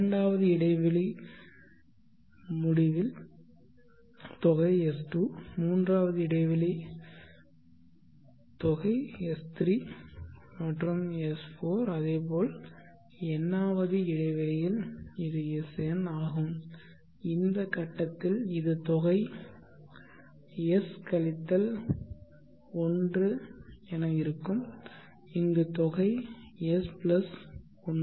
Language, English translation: Tamil, Now at the end of the 1st interval I have sum s1 at the 2nd interval sum s2 at the end of 3rd interval sum s3, sum s4 and at the nth interval it is sn, at this point it will be sum s – 1 and here sum s + 1